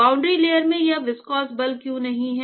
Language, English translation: Hindi, Why in the boundary layer it is not viscous forces